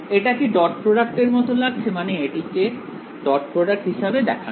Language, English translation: Bengali, Does this look like the dot product between I mean, think of this as a not a dot product